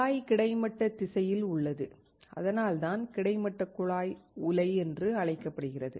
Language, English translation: Tamil, The tube is in horizontal direction that is why it is called horizontal tube furnace